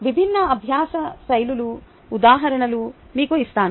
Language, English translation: Telugu, ok, let me give you examples of different learning styles